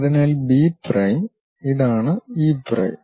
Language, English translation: Malayalam, So, B prime and this is E prime